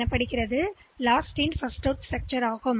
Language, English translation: Tamil, So, it uses a last in first out structure